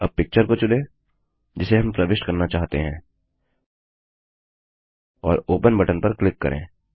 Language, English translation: Hindi, Now choose the picture we want to insert and click on the Open button